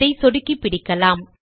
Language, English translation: Tamil, Let us click and hold